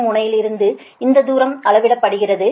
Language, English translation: Tamil, this distance is measured from receiving end right